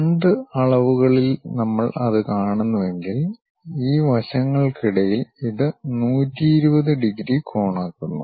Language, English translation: Malayalam, In two dimensions if we are seeing that, it makes 120 degrees angle, in between these sides